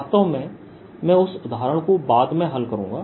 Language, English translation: Hindi, in fact i am going to solve that example later